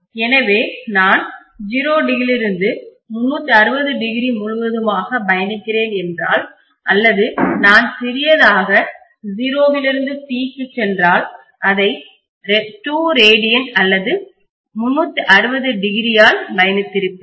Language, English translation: Tamil, So if I am traversing from 0 degree to 360 degree completely, or if I go from small that is 0 to capital T here, then I would have traversed this by 2 pi radiance or 360 degrees